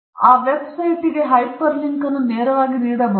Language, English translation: Kannada, I can give a hyper link directly to that website